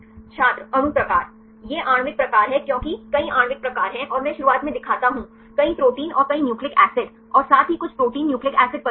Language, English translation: Hindi, Molecule type These are molecular type because there are several molecular types and I show at the beginning, there are many proteins and several nucleic acids and as well as some protein nucleic acid complexes